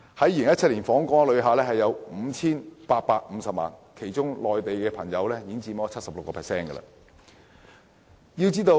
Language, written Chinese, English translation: Cantonese, 2017年錄得的 5,850 萬訪港旅客中 ，76% 來自內地。, In 2017 58.5 million visitors came to Hong Kong of whom 76 % came from the Mainland